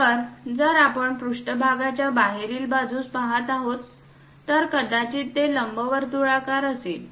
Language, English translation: Marathi, So, if we are looking at on the exterior of the surface, it might be making an ellipse